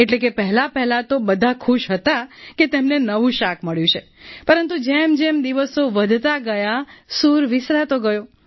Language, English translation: Gujarati, Initially, all were happy as they got a new vegetable, but as days passed by the excitement began going down